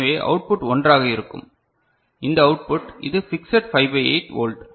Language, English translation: Tamil, So, this output is, this is fixed 5 by 8 volt